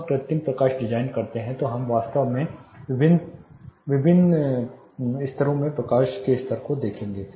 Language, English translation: Hindi, When we do artificial lighting design we will be actually dealing with light levels in different layers